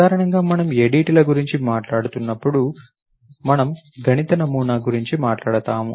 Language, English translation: Telugu, So, generally when we are talking about ADTs, we are talking about a mathematical model